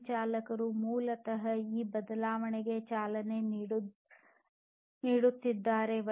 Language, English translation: Kannada, These drivers are basically driving this change